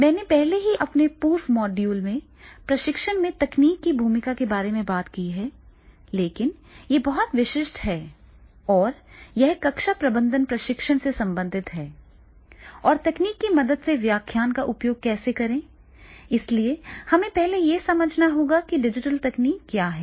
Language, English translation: Hindi, I have already talked about the in earlier my module, the role of technology in training but this is a specific related to the classroom management training and how to make the use of the lecture through the help of technology and, so we first have to understand what is the digital technology